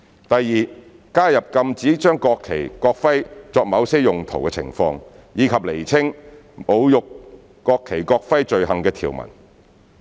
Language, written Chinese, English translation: Cantonese, 第二，加入禁止將國旗、國徽作某些用途的情況，以及釐清侮辱國旗或國徽罪行的條文。, Second add the prohibitions on certain uses of the national flag and the national emblem and clarify the provisions relating to offences of desecrating behaviour in relation to the national flag and national emblem